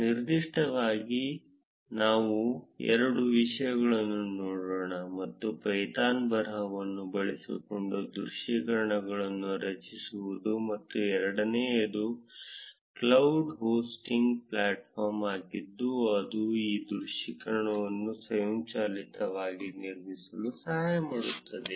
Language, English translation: Kannada, In particular, we will look at two things; one is creating visualizations using a python script, and second is a cloud hosting platform that helps in automatically building these visualizations